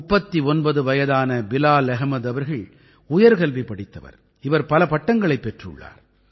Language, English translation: Tamil, 39 years old Bilal Ahmed ji is highly qualified, he has obtained many degrees